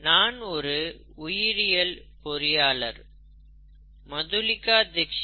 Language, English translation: Tamil, I am a biological engineer, Madhulika Dixit is a biologist